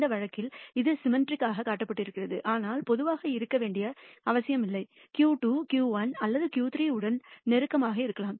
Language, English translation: Tamil, In this case its shown as symmetric, but generally need not be, either Q 2 might be closer to Q 1 or Q 3